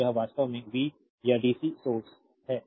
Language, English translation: Hindi, So, this is actually v or dc source right